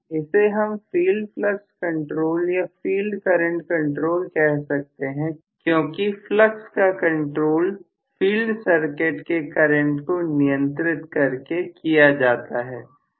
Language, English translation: Hindi, It can be filed flux control or field current control because flux is controlled by having the current of the field circuit controlled